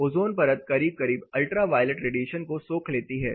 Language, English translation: Hindi, Ultra violet the ozone layer is more or less observing the ultra violet radiation